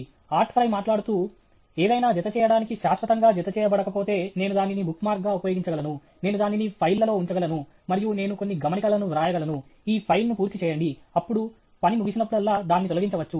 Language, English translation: Telugu, Art Fry said, if something is there which attaches, but does not attach permanently, I can use it as a bookmark; I can put it on files, and I can write some notes please clear this file and all; then, it can be removed whenever the job is over